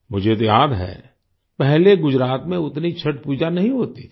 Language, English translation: Hindi, I do remember that earlier in Gujarat, Chhath Pooja was not performed to this extent